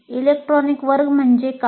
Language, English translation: Marathi, What is in electronic classroom